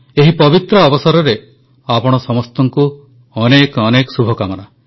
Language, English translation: Odia, On this auspicious occasion, heartiest greetings to all of you